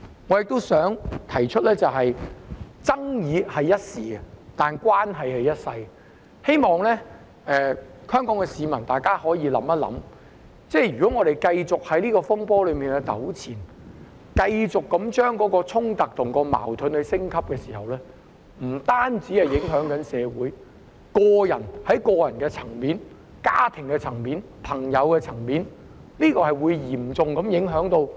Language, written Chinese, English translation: Cantonese, 我亦想指出，爭議只是一時，但關係是一輩子的，我希望香港市民可以想一想，如果我們繼續就這個風波糾纏，繼續令衝突和矛盾升級，這樣不單會影響社會，更會嚴重影響個人、家庭及朋友層面的關係。, I also wish to point out that the controversy is only transient but relationships are lifelong . I hope members of the Hong Kong public can think about this If we continue to be entangled in this turmoil and continue to allow the clashes and conflicts to escalate not only will this affect society it will also seriously affect our relationships with other individuals family and friends